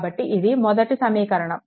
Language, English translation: Telugu, So, this is one equation